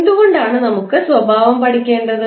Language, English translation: Malayalam, Why we want to study the behaviour